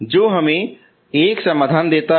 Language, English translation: Hindi, So that is one solution